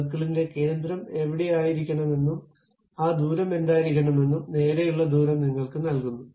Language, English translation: Malayalam, Straight away gives you where should be the center of the circle and also what should be that radius